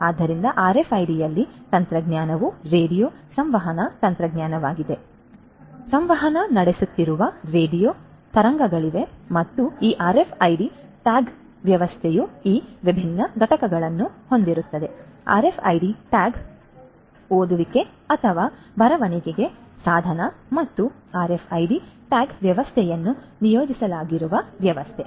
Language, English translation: Kannada, So, in RFID the technology is radio communication technology, so there are radio waves that are communicating and this RFID tagging system will have these different components the RFID tag, the reading or the writing device and the system on which the RFID tagging system is deployed